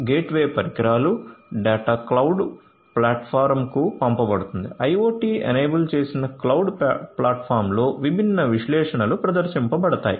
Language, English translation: Telugu, So, gateway devices, the data are going to be sent to the cloud platform; IoT enabled cloud platform where you know different analytics will be performed; analytics will be performed